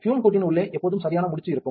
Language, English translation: Tamil, Always inside the fume hood a proper knot